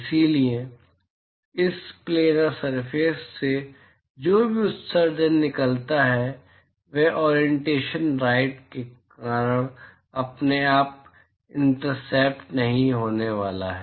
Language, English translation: Hindi, So, whatever emission that comes out of this planar surface is not going to be intercepted by itself because of the orientation right